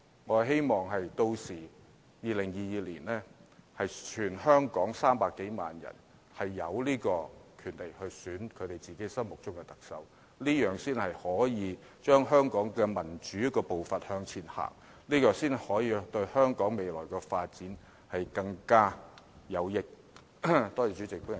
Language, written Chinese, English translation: Cantonese, 我希望到了2022年，全港300多萬名選民均有權選擇自己心目中的特首，這樣才可以帶動香港的民主步伐向前走，這才對香港未來的發展更有益。, I hope that in 2022 more than 3 million electors in Hong Kong will have the right to vote for their favourite Chief Executive . Only in so doing can we boost Hong Kongs democratic development process one step forward which will undoubtedly be beneficial to the future development of Hong Kong